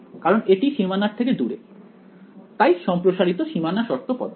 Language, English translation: Bengali, Because it is away from the boundary so extended boundary condition method